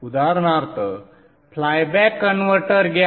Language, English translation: Marathi, This is the flyback converter